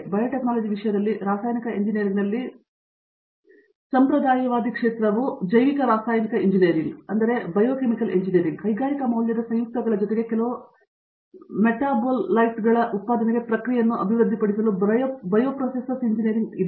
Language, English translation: Kannada, Traditional area of research in Chemical Engineering in terms of biotechnology is biochemical engineering, bioprocess engineering to develop process for production of certain metabolites cum industrial valued compounds